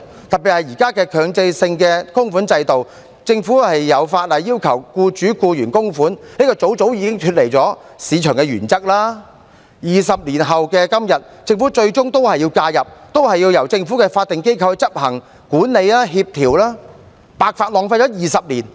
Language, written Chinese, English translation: Cantonese, 就現在的強制性供款制度，政府有法例要求僱主、僱員供款，這便早早已經脫離市場的原則；而在20年後的今天，政府最終也要介入，仍然要由政府的法定機構執行管理和協調，白白浪費了20年。, As regards the current mandatory contribution system the Government has required mandatory contributions from employers and employees with the relevant law this move has long deviated from the market principles . Today after the implementation for 20 years the Government eventually needs to intervene and the management and coordination work still needs to be carried out by a statutory institution of the Government